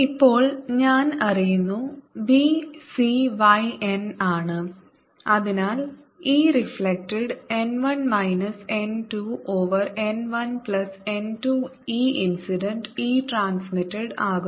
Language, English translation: Malayalam, now i know v is c, y, n and therefore e reflected is going to be n, one minus n, two over one plus n, two, e incident